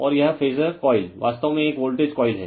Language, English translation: Hindi, And this phasor coil actually it is a voltage coil